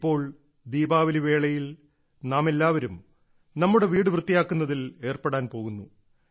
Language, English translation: Malayalam, Now, during Diwali, we are all about to get involved in cleaning our houses